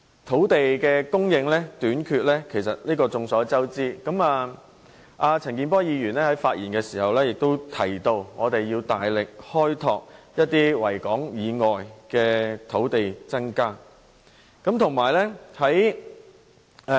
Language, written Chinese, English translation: Cantonese, 土地供應短缺是眾所周知的，陳健波議員發言時也說要大力開拓維港以外的範圍，以增加土地供應。, All of us know that there is a shortage of land supply and when Mr CHAN Kin - por spoke he also said that the areas outside of Victoria Harbour must be opened up in order to increase land supply